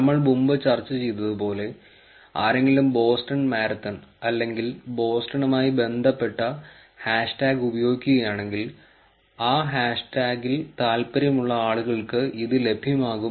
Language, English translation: Malayalam, As we have discussed before, if somebody uses hash tag Boston Marathon, hash tag based or Boston then, it is going to be available to people who are interested in that hash tag